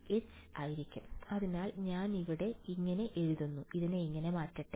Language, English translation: Malayalam, H will simply be j, so let me get this out of here